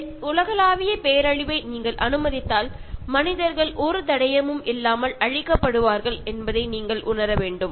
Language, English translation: Tamil, And if you let this global calamity happen you should realize that human beings maybe wiped out without a trace